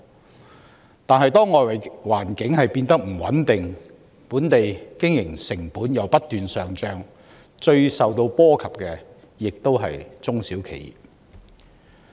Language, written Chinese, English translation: Cantonese, 然而，當外圍環境變得不穩定，本地經營成本又不斷上漲，最受影響的同樣是中小企。, However when the external environment becomes unstable and the operating costs in Hong Kong are on the rise SMEs will bear the brunt